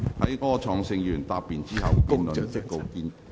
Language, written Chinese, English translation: Cantonese, 在柯創盛議員答辯後，辯論即告結束。, The debate will come to a close after Mr Wilson OR has replied